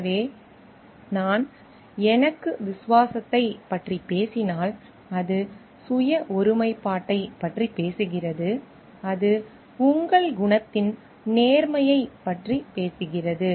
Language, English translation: Tamil, So, if I am talking of loyalty to myself, then it talks of self integrity, it talks of the honesty of your character